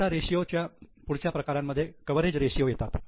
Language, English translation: Marathi, Now the next type of ratios are known as coverage ratios